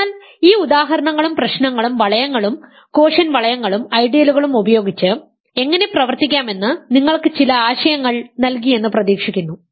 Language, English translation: Malayalam, So, hopefully these examples and problems gave you some idea how to work with rings and quotient rings and ideals